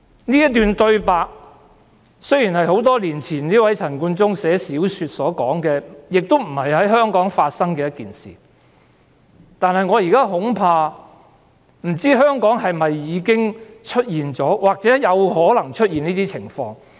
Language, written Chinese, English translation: Cantonese, 這段對白雖然是陳冠中多年前撰寫小說時所寫下，亦非在香港發生的事，但我不知道香港是否已經出現這情況，或有可能出現這種情況。, The lines in the novel were written by CHAN Koon - chung many years ago and they do not describe any incident in Hong Kong but I do not know if similar situations have occurred or may occur in Hong Kong